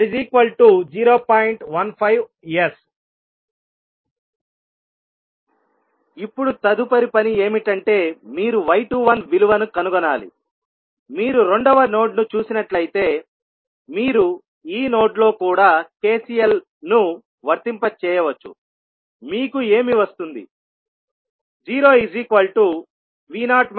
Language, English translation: Telugu, Now, next task is that you have to find the value of y 21, so if you see the second node you apply KCL at this node also, what you will get